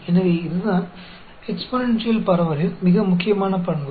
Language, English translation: Tamil, So, that is most important property of exponential distribution